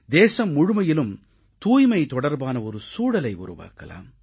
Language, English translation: Tamil, Let's create an environment of cleanliness in the entire country